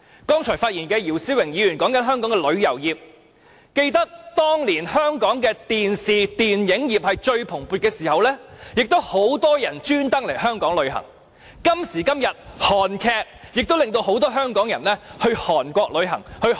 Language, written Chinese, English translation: Cantonese, 剛才發言的姚思榮議員提及香港的旅遊業，記得當年香港電視、電影業最蓬勃的時候，很多旅客會刻意來港旅遊，正如今時今日的韓劇，亦促使很多香港人前往韓國旅遊、消費。, Mr YIU Si - wing has just mentioned the tourism industry of Hong Kong in his speech and I remember that a lot of overseas visitors were attracted to Hong Kong back in those days when our television and film industries were in full bloom . What we witness now is just the same . The success of Korean television dramas has attracted a large number of Hong Kong people to go sightseeing and shopping in South Korea